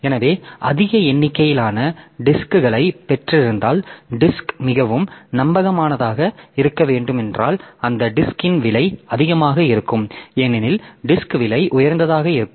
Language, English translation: Tamil, So, if we have got a large number of disks then if you if you want the disk to be highly reliable then the cost of those disk will be high because the it is the cost the disk will be expensive in nature